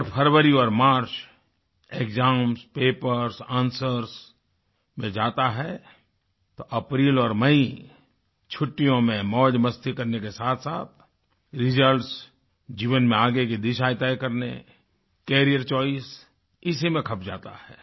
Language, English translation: Hindi, Whereas February and March get consumed in exams, papers and answers, April & May are meant for enjoying vacations, followed by results and thereafter, shaping a course for one's life through career choices